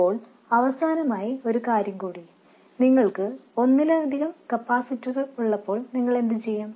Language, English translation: Malayalam, Now one last thing, when you have multiple capacitors what do